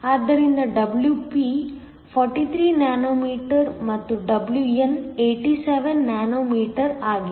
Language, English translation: Kannada, So, Wp is 43 nanometers and Wn is 87 nanometers